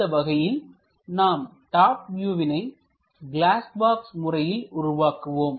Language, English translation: Tamil, This is the way we construct top view using glass box method